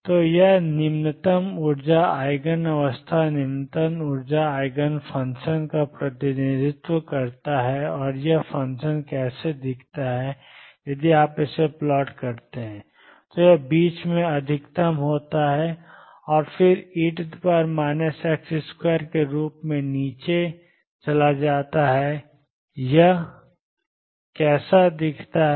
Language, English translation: Hindi, So, this represents the lowest energy Eigen state lowest energy Eigen function and how does this function look if you plot it, it is maximum in the middle and then goes down as e raised to minus x square this is how it looks